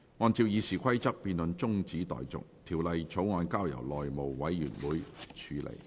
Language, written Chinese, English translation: Cantonese, 按照《議事規則》，辯論中止待續，條例草案交由內務委員會處理。, In accordance with the Rules of Procedure the debate is adjourned and the Bill is referred to the House Committee